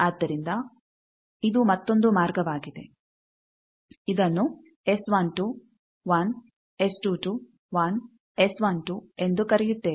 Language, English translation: Kannada, So, this is another path that we are calling S 12, 1, S 22, 1, S 12 all products